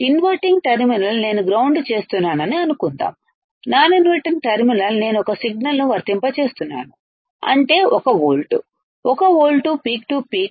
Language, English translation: Telugu, Suppose inverting terminal I am grounding, non inverting terminal I am applying a signal which is that say 1 volt, 1 volt peak to peak, 1 volt peak to peak ok